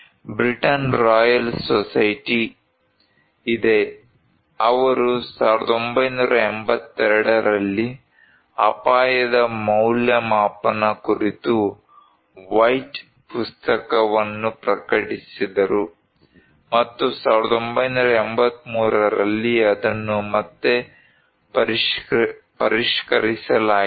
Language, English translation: Kannada, there is a Britain Royal Society; they publish a White book on risk assessment in 1982 and in 1983, it was revised again